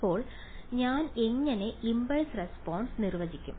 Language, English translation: Malayalam, So, now how do I define the impulse response